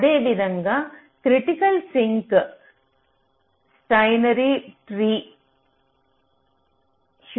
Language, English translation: Telugu, similarly you can have a critical sink, steiner tree, heuristic